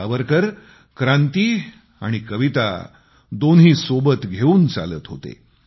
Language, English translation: Marathi, Savarkar marched alongwith both poetry and revolution